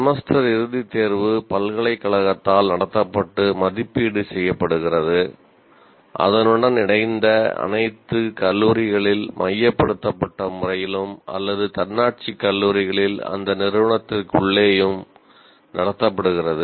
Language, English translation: Tamil, Semesternd exam is conducted and evaluated by the university for all its affiliated college in a centralized manner or an autonomous college within that institute itself